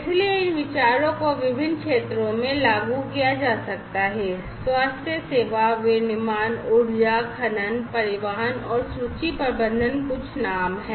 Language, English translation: Hindi, So, these ideas could be implemented in different sectors healthcare, manufacturing, energy, mining, transportation and inventory management are a few to name